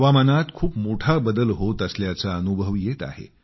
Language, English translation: Marathi, Quite a change is being felt in the weather